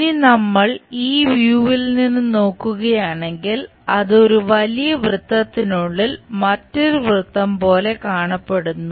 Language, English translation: Malayalam, If we are looking from this view, it looks like a circle followed by another big circle